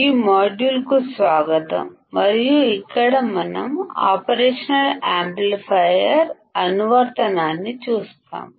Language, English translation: Telugu, Welcome to this module and here we will see the application of operational amplifiers